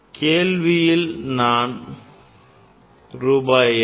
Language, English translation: Tamil, 00, but I cannot write rupees 200